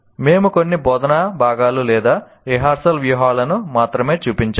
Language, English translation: Telugu, So we only just shown some of them, some instructional components or rehearsal strategies